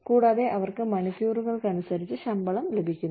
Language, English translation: Malayalam, And, they are getting paid by the hour